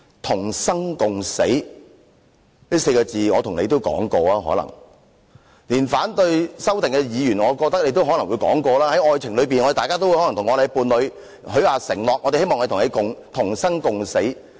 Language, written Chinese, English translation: Cantonese, "同生共死"這4個字，大家可能也說過，連反對修正案的議員也可能說過，在愛情裏，大家可能會向伴侶許下承諾，希望可以與伴侶同生共死。, Everyone might have once said live and die together including Members who oppose CSA . In romantic relationships people may make commitment to their partner hoping to live and die together